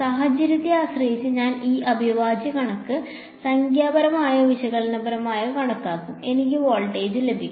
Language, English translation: Malayalam, I will calculate this integral numerically or analytically depending on the situation and I will get voltage